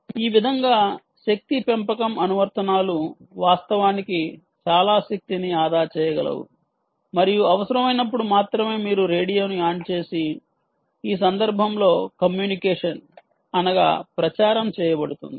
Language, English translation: Telugu, this way, energy harvesting applications can actually save a lot of power and only when required you switch on the radio and do a communication ah